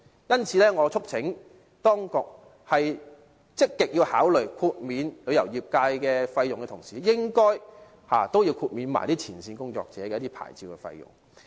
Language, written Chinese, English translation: Cantonese, 因此，我促請當局在積極考慮豁免旅遊業界費用的同時，亦應該豁免前線工作者的牌照費用。, Hence I urge the authorities to waive the licence fees of frontline staff when actively considering the offer of licence fee waivers to the tourist industry